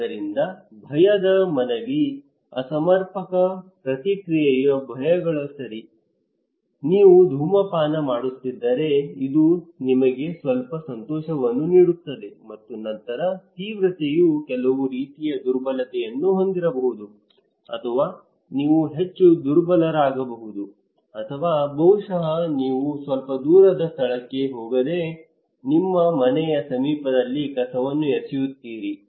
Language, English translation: Kannada, So fear appeal, the fears of maladaptive response okay like if you are smoking that may gives you some pleasure and then severity it can also have some kind of vulnerability making you more vulnerable, or maybe if you are throwing garbage, maybe you do not need to go to distance place you can just do it at your close to your house